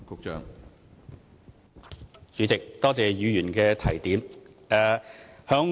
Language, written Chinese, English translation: Cantonese, 主席，多謝議員的提點。, President I thank Member for the reminder